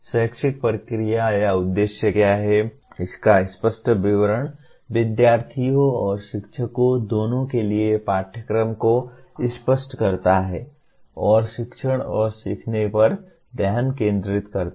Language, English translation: Hindi, An explicit statement of what the educational process aims to achieve clarifies the curriculum for both the students and teachers and provide a focus for teaching and learning